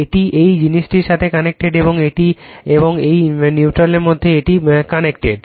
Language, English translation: Bengali, It is it is connected in this thing and , between this one and this neutral it is connected right